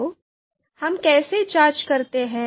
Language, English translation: Hindi, So how do we check that